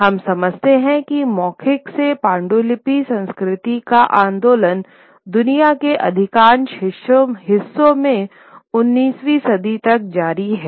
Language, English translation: Hindi, We understand that movement from the oral to the manuscript culture continues till about the 19th century in most of these parts of the world